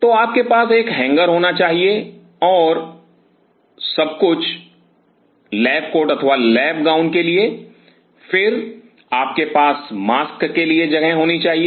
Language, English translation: Hindi, So, you have to have a hanger and everything for the lab coat or the lab gowns then you have to have the place for the mask